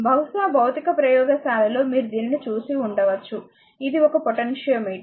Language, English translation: Telugu, Perhaps in physics lab in your in your you might have seen it, right this is a potentiometer